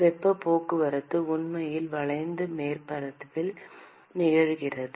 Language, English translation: Tamil, The heat transport is actually occurring alng the curved surface